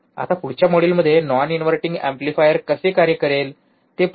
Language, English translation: Marathi, Now in the next module, let us see how non inverting amplifier would work alright